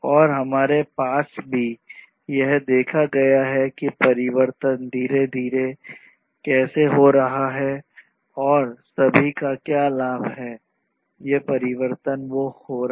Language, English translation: Hindi, And we have also seen how that these transformations are happening gradually and what is the benefit of all these transformations that are happening